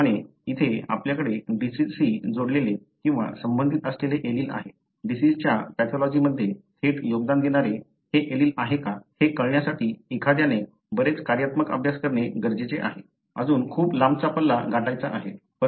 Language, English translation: Marathi, Likewise, here you have an allele that is linked or associated with the disease; whether this is the allele that contributes directly to the disease pathology one has do lot of functional studies; that is still a long way to go